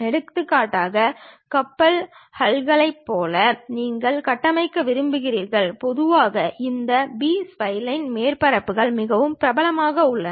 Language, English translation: Tamil, For example, like ship hulls you want to construct and so on, usually these B spline surfaces are quite popular